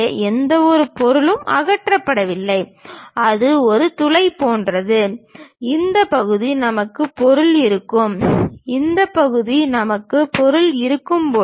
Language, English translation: Tamil, So, there is no material removed that is just like a bore and this part we will be having material, this part we will be having material